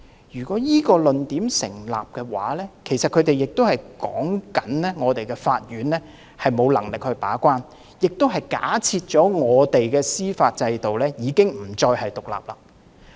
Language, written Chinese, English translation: Cantonese, 如果這個論點成立的話，他們便是說我們的法庭沒有能力把關，亦假設我們的司法制度已經不再獨立。, If this argument is substantiated the pan - democrats are actually saying that our courts cannot perform a gatekeeping role and they are actually assuming that our judicial system is no longer independent